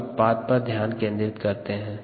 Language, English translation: Hindi, so let us concentrate on the product here